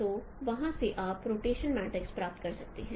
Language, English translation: Hindi, So from there you can get the rotation matrix